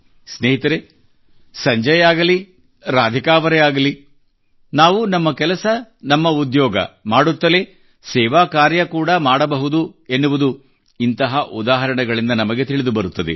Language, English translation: Kannada, Friends, whether it is Sanjay ji or Radhika ji, their examples demonstrate that we can render service while doing our routine work, our business or job